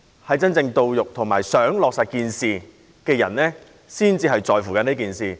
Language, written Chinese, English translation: Cantonese, 能夠受惠和希望落實建議的人才會在乎這件事。, Only the beneficiaries and those who want the proposal to be implemented will care about it